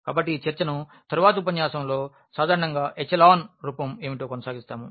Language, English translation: Telugu, So, this is we will be continuing this discussion in the next lecture what is exactly echelon form in general